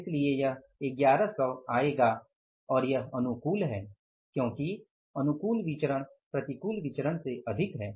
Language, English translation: Hindi, 00 and it is favorable because the favorable variances are more than the adverse variance